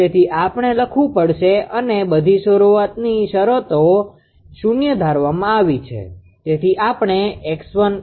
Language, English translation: Gujarati, So, we have to write down and assuming that all the initial conditions are 0